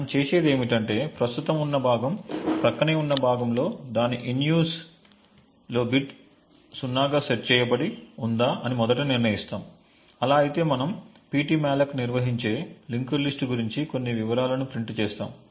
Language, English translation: Telugu, So we do this check over here in these few lines, what we do is that we first determine if the next chunk that is present in the adjacent chunk that is present has its in use bit set to 0, if so then we print some details about the link list that ptmalloc maintains